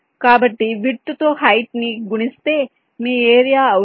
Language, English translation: Telugu, so just height multiplied by width will be your area